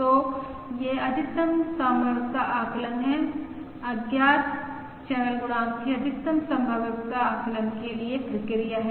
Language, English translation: Hindi, So this is the maximum likelihood estimation, the procedure for maximum likelihood estimation of the unknown channel coefficient